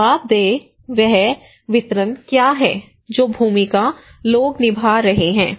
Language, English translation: Hindi, Accountable, what is the distribution what are the roles people are playing